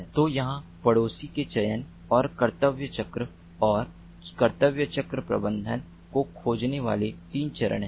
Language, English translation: Hindi, so here there are three steps: neighbor finding, neighbor selection and duty cycle and duty cycle management